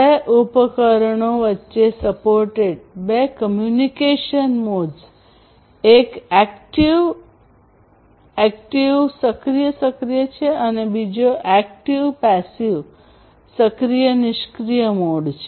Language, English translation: Gujarati, And two communication modes are supported between two devices, one is the active active and the other one is the active passive mode